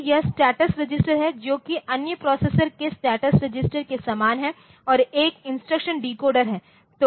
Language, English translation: Hindi, So, that is that the status register of other processes also similar to that and one instruction decoder